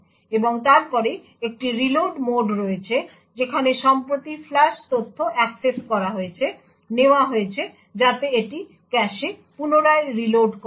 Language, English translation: Bengali, And then there is a reload mode where the recently flush data is accessed taken so that it is reloaded back into the cache